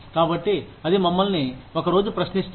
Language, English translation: Telugu, So, that, we are questioned some day